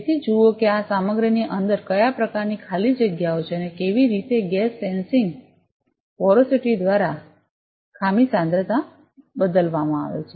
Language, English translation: Gujarati, So, see what kind of vacancies are there in inside this material and how the gas sensing is changed by porosity or, by defect concentration